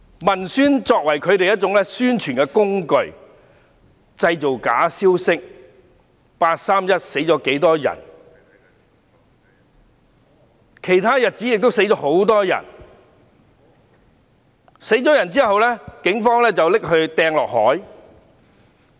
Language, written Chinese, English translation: Cantonese, 文宣作為他們的宣傳工具，製造假消息，例如"八三一"死了多少人、其他日子亦死了很多人、有人死後被警方投入海中等。, The propagandists have fabricated news such as a number of people died in the 31 August incident; many people died on other dates some were thrown into the sea after being killed by the Police etc